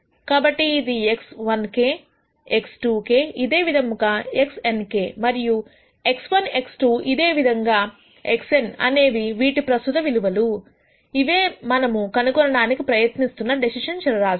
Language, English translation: Telugu, So, this could be something like x 1 k, x 2 k all the way up to x n k and these are the current values for variables x 1, x 2 all the way up to x n which are the decision variables that we are trying to find